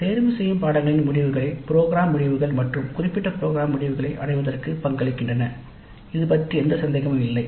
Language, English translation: Tamil, Now the outcomes of elective courses do contribute to the attainment of program outcomes and program specific outcomes